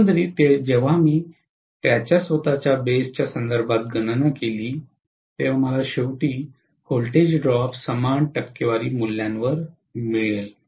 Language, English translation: Marathi, Overall when I calculated with reference to its own base, I will get ultimately the voltage drops to be, you know happening at the same percentage values, right